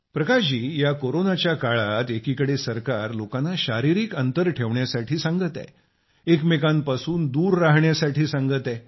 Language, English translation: Marathi, Prakash ji, on one hand the government is advocating everyone to keep a distance or maintain distance from each other during the Corona pandemic